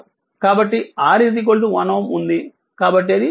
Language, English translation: Telugu, So, R is 1 ohm so that is 2